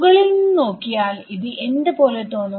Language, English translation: Malayalam, So, a top view of the same thing what does it look like